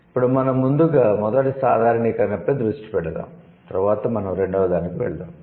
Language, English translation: Telugu, So, now let's focus in the first generalization first, then we'll go to the second